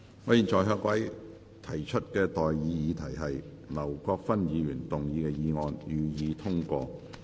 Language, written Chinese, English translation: Cantonese, 我現在向各位提出的待議議題是：劉國勳議員動議的議案，予以通過。, I now propose the question to you and that is That the motion moved by Mr LAU Kwok - fan be passed